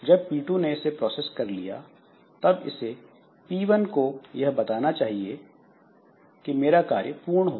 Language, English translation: Hindi, And when P2 has finished using that data, it should tell P1 that I have done with my operation